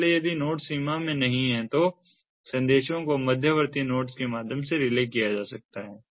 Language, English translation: Hindi, so if the nodes are not in the range, messages are relayed through intermediate nodes